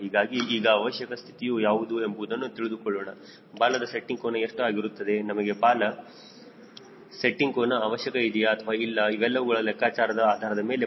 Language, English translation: Kannada, so now we will see what will be the required condition, what will be the tail setting angle, whether we even require a tail setting angle or not, based on these calculations